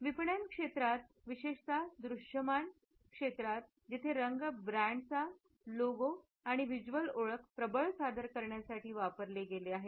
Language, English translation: Marathi, It is particularly visible in marketing where the color, which has been used for presenting a brands logo and visual identity, becomes dominant